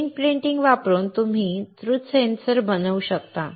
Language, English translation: Marathi, Using screen printing you can make quick sensors